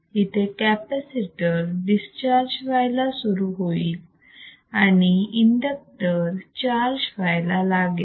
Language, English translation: Marathi, Now, the capacitor is discharging through the inductor and